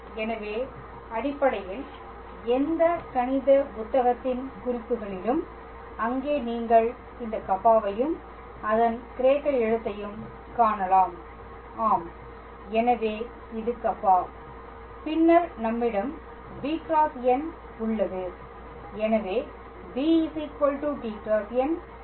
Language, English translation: Tamil, So, then so basically any mathematical books on notations, there you can be able to find this Kappa its a Greek letter and yes so this is Kappa and then we have b cross n